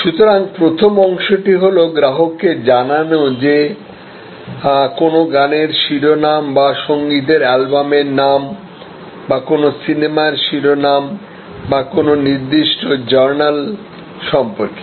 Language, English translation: Bengali, So, one is the first part is to inform the customer that what is available like the title of a song or the title of a set of music or the title of a movie or the details about a particular journal